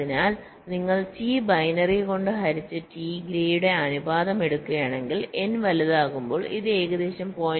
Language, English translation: Malayalam, so if you take the ratio of t grade divided by t, ah, t, binary, this approximates to point five as n becomes large